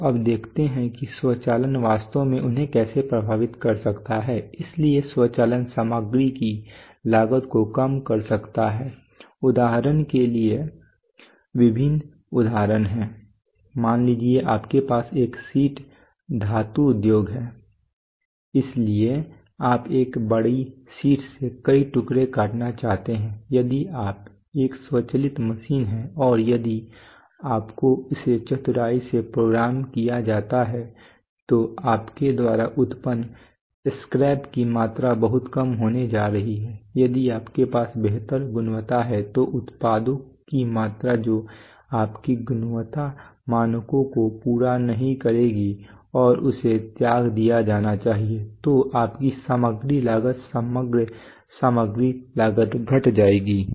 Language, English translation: Hindi, So now let us see that how automation can really affect them, so automation can reduce material costs various examples are there for example suppose you have a sheet metal industry so you want to cut say several pieces from a from a large sheet if you if you have an automated machine and if you are programmed it cleverly then the amount of scrap that you generate is going to be much less, if you have better quality then the the amount of products which will not meet your quality standards and must be discarded that will decrease, so your material cost, overall material cost will decrease